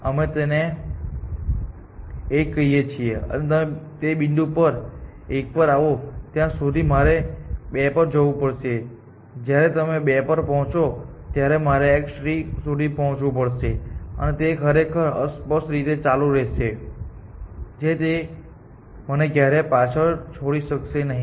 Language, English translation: Gujarati, say that by the time you come to this 100 meters point, I would have to move to some point let us call it x 1 essentially and by the time you come to x 1, I would have to move to x 2 and by the time you come to x 2, I would have to move to x x 3 and this will ofcourse keep happening infinitely and so you can never over take me essentially